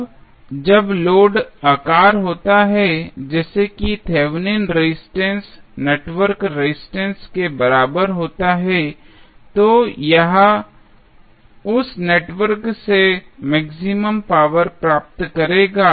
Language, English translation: Hindi, Now, when the load is sized, such that the resistance is equal to Thevenin's resistance of the network